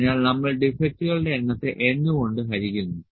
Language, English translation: Malayalam, So, we divide just it the number of defects by n